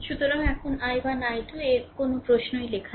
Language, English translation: Bengali, So, ah now no question of i 1 i 2 nothing is written